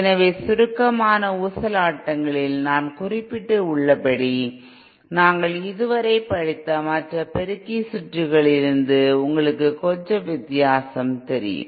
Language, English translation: Tamil, So in summary oscillators as we as I mentioned you know little different from other amplifier circuits that we have studied so far